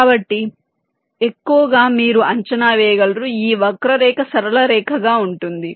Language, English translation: Telugu, so mostly of predict that this curve will be a straight line